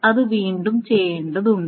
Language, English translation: Malayalam, So it needs to be redone